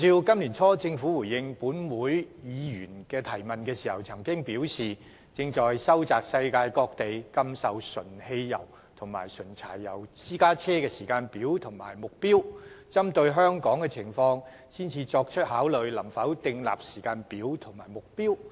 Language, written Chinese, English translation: Cantonese, 今年年初政府回應本會議員提問時所表示，當局正在收集世界各地禁售純汽油及純柴油私家車的時間表或目標，並會針對香港的情況作出考慮，然後才決定能否就此訂立時間表及目標。, In its reply to a question raised by a Member in this Council at the beginning of this year the Government stated that it was collating information on the timetables or targets set in overseas places for a total ban on the sale of private cars solely using petrol or diesel and would explore the situation in Hong Kong before making a decision on the feasibility of setting local timetables or targets for the same purpose